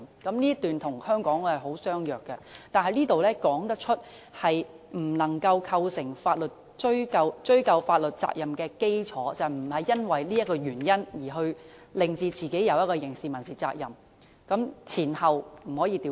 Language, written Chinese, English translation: Cantonese, "這一段與香港的相若，但此段說明不能構成追究法律責任的基礎，即被告人不是因為這個原因而令自己承受刑事、民事責任，前後次序不能倒轉。, The contents in this paragraph are similar to relevant provisions in Hong Kong but this paragraph illustrates that such speeches or documents cannot be the foundation of legal liability that is the Defendant cannot be exposed to any criminal or civil liability due to this reason . The sequence cannot be changed here